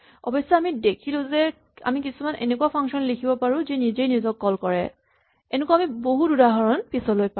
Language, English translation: Assamese, Finally, we saw that we can write interesting functions which call themselves and we will see many more examples of this in the weeks to come